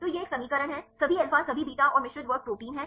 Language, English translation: Hindi, So, this is a equation is all alpha all beta and mixed class proteins